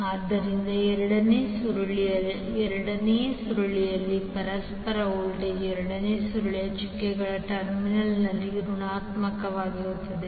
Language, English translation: Kannada, So that means that the second coil the mutual voltage in the second coil will be negative at the doted terminal of the second coil